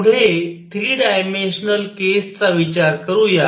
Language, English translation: Marathi, Next going to consider is 3 dimensional case